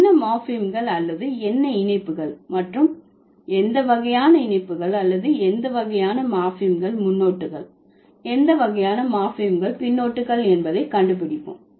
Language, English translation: Tamil, Let's find out what are the morphemes or what are the affixes and what kind of affixes or what kind of morphemes are the suffixes